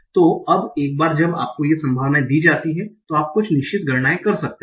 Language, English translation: Hindi, So now once you are given these probabilities you can do certain you can do certain computations